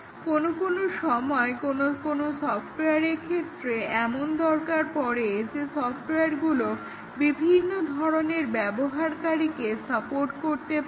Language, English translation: Bengali, Sometimes for some software, it may be required that they support various types of users